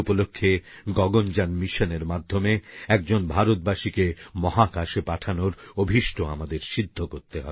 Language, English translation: Bengali, And on that occasion, we have to fulfil the pledge to take an Indian into space through the Gaganyaan mission